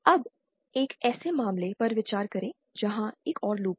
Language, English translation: Hindi, Now consider a case where there is additional another loop